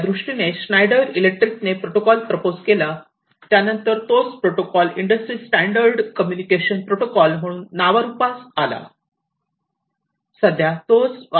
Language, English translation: Marathi, So, Schneider electric came up with their own protocol, which later became sort of like an industry standard communication protocol for being used